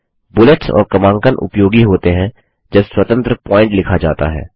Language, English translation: Hindi, Lets undo this Bullets and numbering are used when independent points have to be written